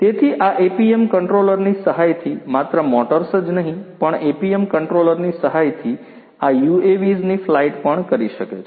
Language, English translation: Gujarati, So, this APM controller not only the motors the flight of these UAVs with the help of the APM controller is performed